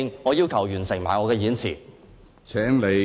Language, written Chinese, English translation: Cantonese, 我要求完成我的演辭。, I request to finish my speech